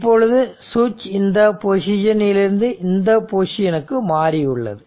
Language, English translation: Tamil, So, now switch has moved from this position to that position right